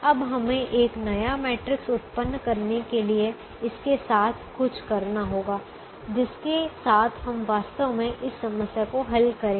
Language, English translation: Hindi, now we have to do something with this to generate a new matrix with which we will actually be solving this problem